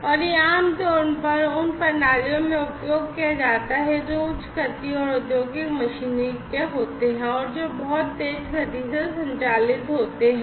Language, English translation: Hindi, And, this is typically used in systems which are of high speed and industrial machinery typically you know operate in very high speed, right